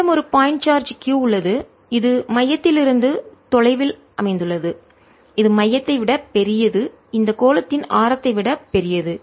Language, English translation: Tamil, and i have a charge point, charge q, which is located at a distance from the centre which is larger than the centre, ah, the radius of the, this sphere